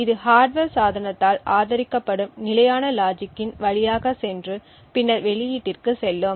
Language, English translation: Tamil, This would go through the standard logic which is supported by the hardware device and then the output goes